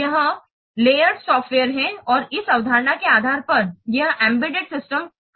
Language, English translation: Hindi, This is the layered software and based on this concept this embedded systems work